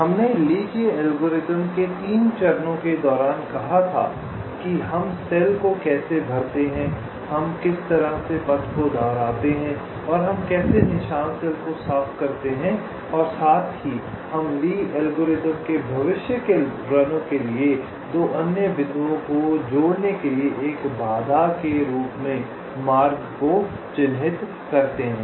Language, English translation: Hindi, so we had said, during the three steps or the three phases of the lees algorithm, how we fill up the cells, how we retrace the path and how we clear the mark cells as well as we mark the path as an obstacle for future runs of lees algorithm